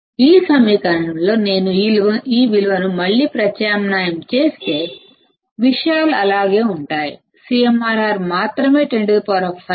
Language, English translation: Telugu, If I substitute this value again in this equation, the things remain the same; only CMRR is 10 raised to 5